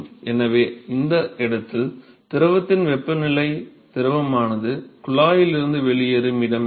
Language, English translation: Tamil, So, that is the temperature of the fluid at the location, where the fluid is leaving the tube at L